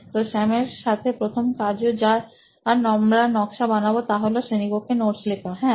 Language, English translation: Bengali, So the activity first activity that we are mapping with Sam would be taking notes in class, yeah